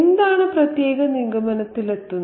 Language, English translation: Malayalam, What makes us come to that particular conclusion